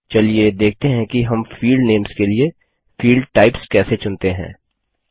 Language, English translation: Hindi, Let us see how we can choose Field Types for field names